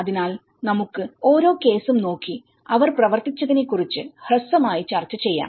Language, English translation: Malayalam, So, let us go case by case and briefly discuss about what they have worked on